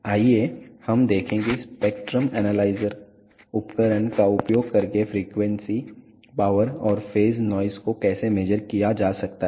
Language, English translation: Hindi, Let us see how frequency power and phase noise can be measured using a spectrum analyzer instrument